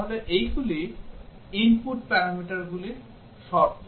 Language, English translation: Bengali, So, these are the conditions on the input parameters